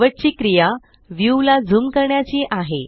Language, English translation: Marathi, Last action is Zooming the view